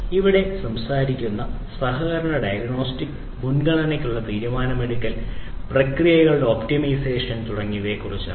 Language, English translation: Malayalam, So, we are talking about you know collaborative diagnostics, decision making for prioritization, optimization of processes and so on